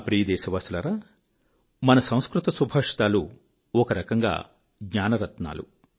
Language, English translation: Telugu, My dear countrymen, our Sanskrit Subhashit, epigrammatic verses are, in a way, gems of wisdom